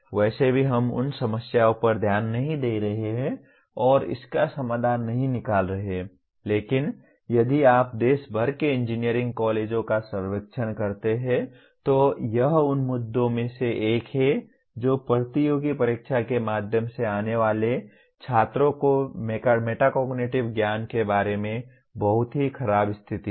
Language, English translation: Hindi, Anyway we are not going to look at those problems and finding out solutions but if you survey the engineering colleges across the country, it is one of the issues is the very poor state of metacognitive knowledge of the students that are coming out through the competitive exam route